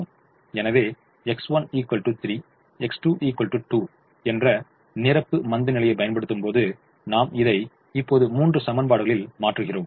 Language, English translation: Tamil, so when we apply the complimentary slackness, x one equal to three, x two equals to two, we go back and substitute in the three equations now